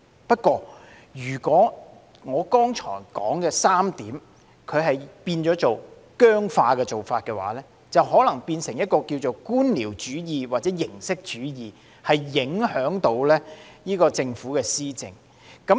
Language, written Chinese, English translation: Cantonese, 不過，如果我剛才所說的3點變得僵化，便可能會變成官僚主義或形式主義，影響政府施政。, But if they become overly rigid in these three aspects I have just mentioned bureaucracy or formalism may arise and in turn affect the Governments administration